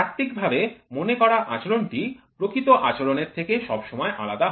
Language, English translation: Bengali, The theoretically predicted behaviour is always different from the real times